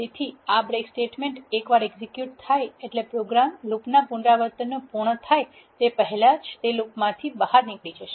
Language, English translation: Gujarati, So, this break statement once executed the program exit the loop even before the iterations are complete